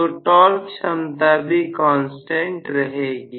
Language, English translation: Hindi, So, torque capability is a constant